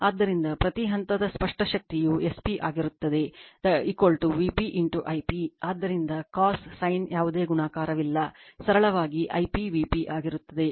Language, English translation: Kannada, So, the apparent power per phase will be S p will be is equal to V p into I p right, so no multiplied of cos theta sin theta, simply will be V p into I p